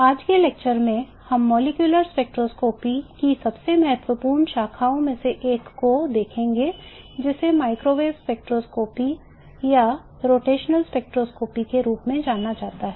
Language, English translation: Hindi, In today's lecture at one of the most important branches of molecular spectroscopy known as the microwave spectroscopy or rotational spectroscopy in molecular spectroscopy